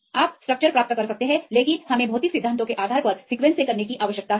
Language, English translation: Hindi, You can get the structure, but we need to do from the sequence based on physical principles